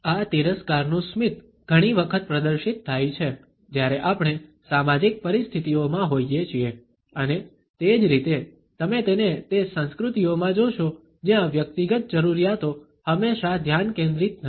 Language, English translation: Gujarati, This contempt smile is often displayed when we are in social situations and similarly, you would find that in those cultures where the individual needs are not always the focus of attention